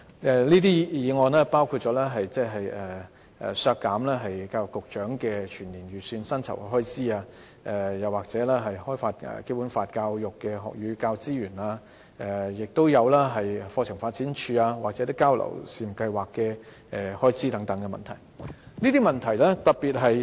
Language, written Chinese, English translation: Cantonese, 這些修正案包括削減教育局局長的全年預算薪酬開支、開發《基本法》教育的學與教資源方面的全年預算開支，亦有"課程發展處"和"促進香港與內地姊妹學校交流試辦計劃"的預算開支。, These CSAs seek to deduct the annual estimated salary of the Secretary for Education the annual estimated expenditures for developing learning and teaching resources for Basic Law education and also the estimated expenditures of the Curriculum Development Institute and Pilot Scheme on Promoting Interflows between Sister Schools in Hong Kong and the Mainland